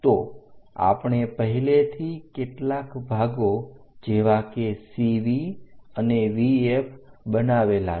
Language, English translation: Gujarati, So, already we have made some division like CV and VF